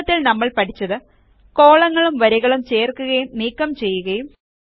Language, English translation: Malayalam, To summarize, we learned about: Inserting and Deleting rows and columns